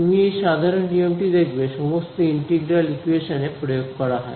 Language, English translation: Bengali, You will find this general principle applied in all integral equation